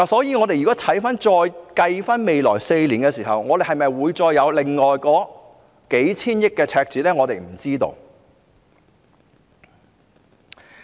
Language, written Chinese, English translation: Cantonese, 因此，如果再計算未來4年，是否會出現另外數千億元赤字，大家都不知道。, Therefore if projections are to be made for the next four years I wonder if the deficit estimates will reach as high as hundreds of billions of dollars